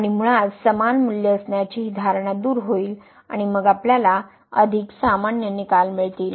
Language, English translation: Marathi, And, basically this assumption of having the equal values will be removed and then we will get more general results